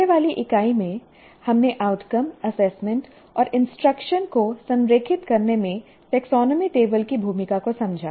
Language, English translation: Hindi, And in the earlier unit, we understood the role of a taxonomy table in aligning outcomes, assessment and instruction